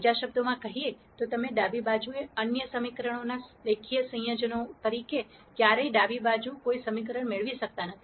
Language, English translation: Gujarati, In other words you can never get any equation on the left hand side as a linear combinations of other equations on the left hand side